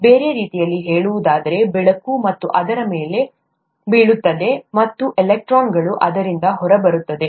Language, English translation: Kannada, In other words, light falls on it, and electrons go out of it